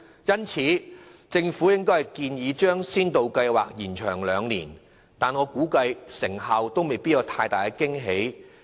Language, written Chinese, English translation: Cantonese, 因此，即使政府建議將先導計劃延長兩年，我估計其成效亦未必有太大驚喜。, Hence even though the Government has proposed to extend the Pilot Scheme for two years I reckon that there will be no pleasant surprise as far as its effectiveness is concerned